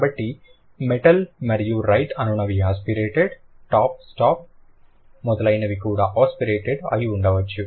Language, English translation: Telugu, So, metal and right, these would be non aspirated, top stop would be probably aspirated